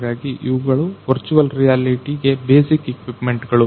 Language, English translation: Kannada, So, these are the equipments basic equipments for the virtual reality